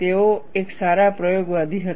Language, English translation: Gujarati, He was a good experimentalist